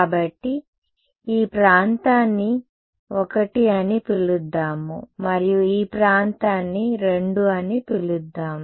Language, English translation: Telugu, So, in let us call this region I and let us call this region II